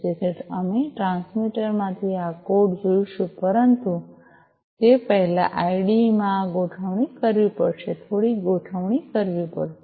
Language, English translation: Gujarati, So, we will look at this code from the transmitter, but before that in the IDE this configuration will have to be made, few configurations will have to be made